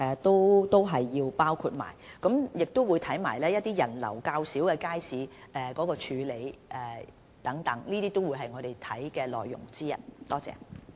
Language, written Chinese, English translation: Cantonese, 同時，我們也會檢視人流較少的街市的處理和安排，這些都是我們檢視的內容之一。, At the same time we will examine ways for handling markets with lower customer flow and make arrangements . These are some of the aspects included in the review